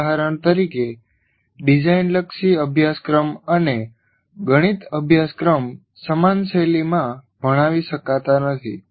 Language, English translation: Gujarati, For example, a design oriented course and a mathematics course cannot be taught in similar styles